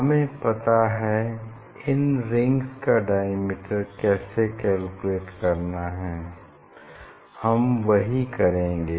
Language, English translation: Hindi, then you know this how to calculate the diameter of these rings and that is what we will do